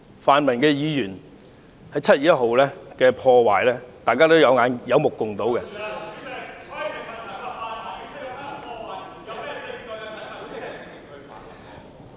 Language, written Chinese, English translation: Cantonese, 泛民議員在7月1日進行的破壞，大家有目共睹......, The vandalism caused by Members of the pan - democratic camp on 1 July was clear to all